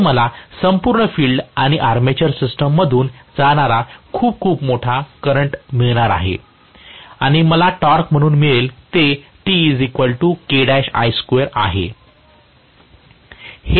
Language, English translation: Marathi, So, I am going to get a very very large current passing through the entire field and armature system and what I get as the torque is K times or K dash times I square